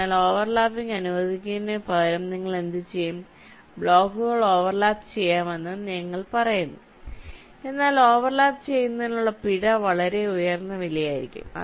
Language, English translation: Malayalam, so instead of disallow overlapping what you would, you are saying the blocks can overlap, but the penalty for overlapping will be of very high cost